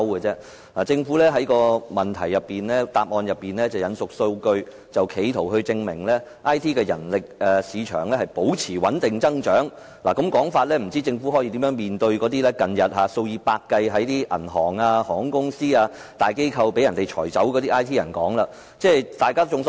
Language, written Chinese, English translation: Cantonese, 政府在主體答覆中引述數據，試圖證明 IT 人力市場保持穩定增長，但政府這種說法如何面對近日數以百計從銀行、航空公司、大機構被裁減的 IT 員工。, In the main reply the Government has quoted some data in an attempt to prove that the IT manpower market is expanding steadily . Yet given such a statement how can the Government face the fact that hundreds of IT staff have been laid off by banks airlines and large organizations recently